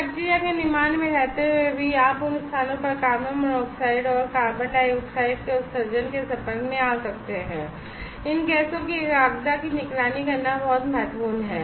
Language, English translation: Hindi, And also while in bacteria fabrication there you may be exposed to emissions of carbon monoxide and carbon dioxide at those place monitoring the concentration of these gases are very much important